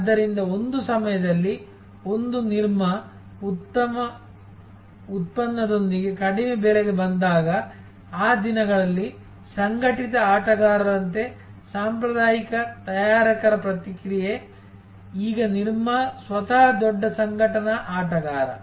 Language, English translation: Kannada, So, this is how at one time, when a Nirma came with a good product at a very low price, the response from the traditional manufacturers as are the organize players of those days, now Nirma itself is a big organize player